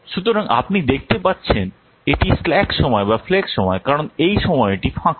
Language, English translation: Bengali, So, you can see this is the slack time or the flex time because this time is free